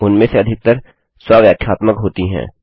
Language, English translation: Hindi, Most of them are self explanatory